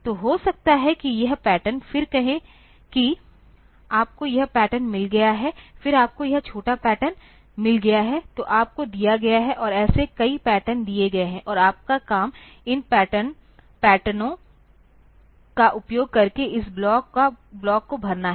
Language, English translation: Hindi, So, maybe this pattern, then say you have got says this pattern, then you have got say this small pattern, so you are given, and a number of such patterns are given, and your job is to fill up this block using these patterns